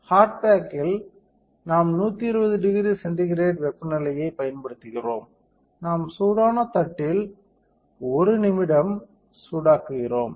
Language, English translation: Tamil, So, for hard bake, we are using 120 degree centigrade temperature, we are heating for 1 minute on hot plate